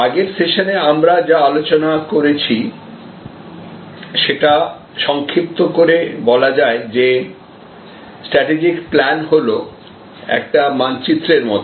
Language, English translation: Bengali, To summarize what we discussed in the previous session, a strategic plan is a sort of a map